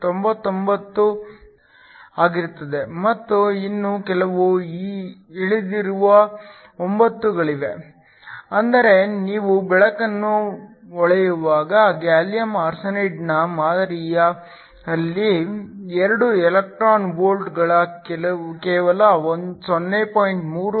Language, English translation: Kannada, 999 and there are few more trailing 9's, which means when you shine light of 2 electron volts on a sample of gallium arsenide that is only 0